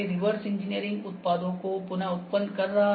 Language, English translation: Hindi, Reverse engineering is reproducing the products